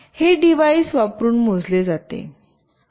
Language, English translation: Marathi, These are measured using this device